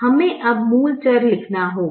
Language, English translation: Hindi, we now have to write the basic variables